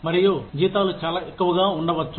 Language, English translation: Telugu, And, the salaries may be too much